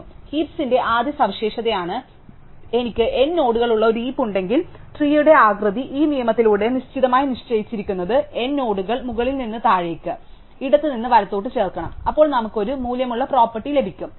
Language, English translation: Malayalam, So, that is the first feature of the heap that if I have a heap with n nodes, then the shape of the tree is deterministically fixed by this rule that the n nodes must be inserted top to bottom, left to right, then we have a value property